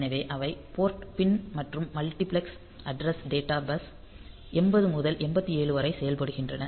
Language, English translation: Tamil, So, they act as the port pin as well as the multiplexed address data bus 80 through 87